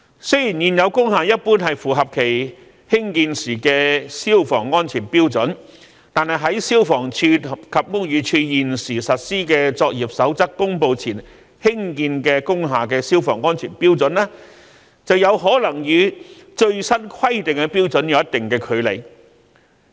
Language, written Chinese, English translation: Cantonese, 雖然現有工廈一般符合其興建時的消防安全標準，但在消防處及屋宇署現時實施的作業守則公布前興建的工廈的消防安全標準，便有可能與最新規定的標準有一定的距離。, While existing industrial buildings generally meet the prevailing fire safety standards at the time of their construction the fire safety standards of industrial buildings constructed before the publication of the codes of practice by FSD and BD currently in force may fall short of the latest requirements